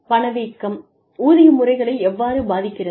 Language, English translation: Tamil, How does inflation, affect our pay systems